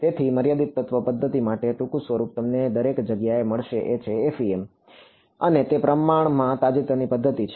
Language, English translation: Gujarati, So, the short form for finite element method everywhere you will find is FEM and it is a relatively recent method